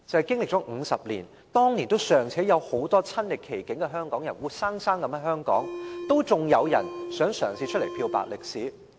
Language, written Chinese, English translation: Cantonese, 經歷了50年，很多當年親歷其境的香港人尚且仍活生生的在香港生活，竟然仍有人嘗試漂白歷史。, After a lapse of 50 years while many people of Hong Kong who witnessed the riots back then are still alive and living in the city some people are actually trying to whitewash the relevant history